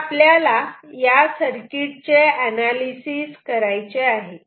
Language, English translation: Marathi, Now we have to do the analysis for this circuit